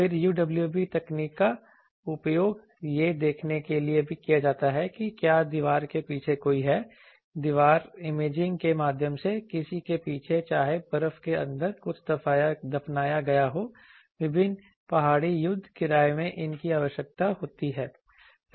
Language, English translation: Hindi, Then UWB technology is also used for seeing whether anyone is there behind wall, though wall imaging it is called anyone behind foliage whether something it buried inside ice in various mountain war fares these are required